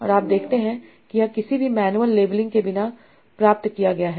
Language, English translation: Hindi, And you see this was obtained without doing any manual labeling